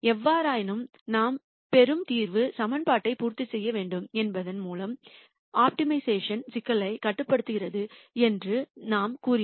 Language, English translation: Tamil, However we said that optimization problem is constrained by the fact that the solution that I get should satisfy the equation